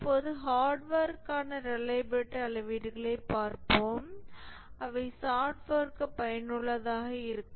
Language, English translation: Tamil, Now let's see the reliability matrix for hardware would they be useful for software